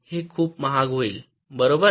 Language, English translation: Marathi, it will be too expensive, right